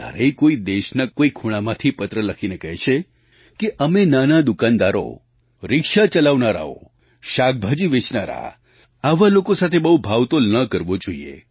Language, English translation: Gujarati, Sometimes people who write in from different corners of the country say, "We should not haggle beyond limits with marginal shopkeepers, auto drivers, vegetable sellers et al"